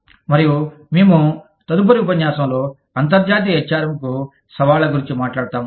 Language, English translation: Telugu, And, we will talk about, Challenges to International HRM, in the next lecture